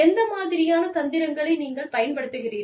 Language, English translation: Tamil, What kind of tactic, you use